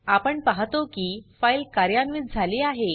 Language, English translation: Marathi, This shows that our file is successfully created